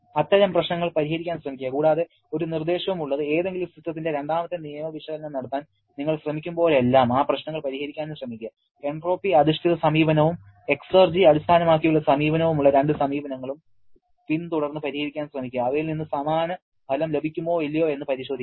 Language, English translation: Malayalam, Please try to solve those problems and also one suggestion whenever you are trying to performing second law analysis of any system, try to solve following both the approaches that is both entropy based approach and exergy based approach to check whether you can get the same result from them or not